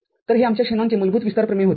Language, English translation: Marathi, So, this was our the basic Shanon’s expansion theorem